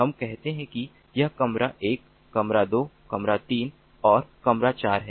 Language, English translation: Hindi, let us say this is room one, room two, room three and room four